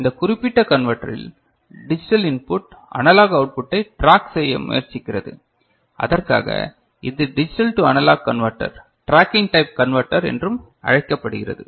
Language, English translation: Tamil, And this converter of this in this particular converter, the digital output, tries to track the analog input and for which it is also called analog to digital converter tracking type ok